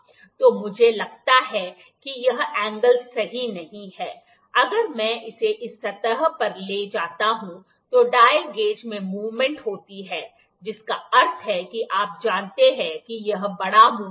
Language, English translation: Hindi, So, let me think this angle is not correct, if I move it on this surface, there is the movement in the dial gauge that means, you know this is the big movement